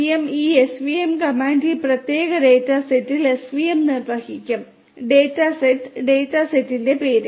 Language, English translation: Malayalam, svm, this svm comment will be executing svm on this particular data set; data set the name of which is data set